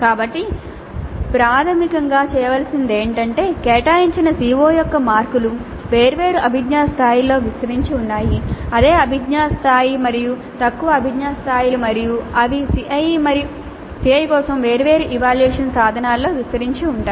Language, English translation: Telugu, So basically what needs to be done is that the marks for the CO which have been allocated are spread over different cognitive levels the same cognitive level and lower cognitive levels and they are spread over different cognitive levels, the same cognitive level and lower cognitive levels and they are spread over different assessment instruments for the CIE